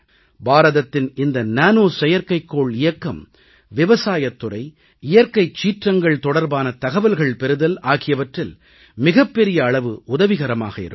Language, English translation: Tamil, And with India's Nano Satellite Mission, we will get a lot of help in the field of agriculture, farming, and dealing with natural disasters